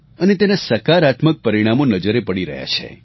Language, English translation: Gujarati, And the positive results are now being seen